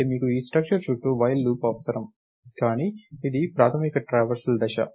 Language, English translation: Telugu, So, you need a while loop around this structure, but this is the basic traversal step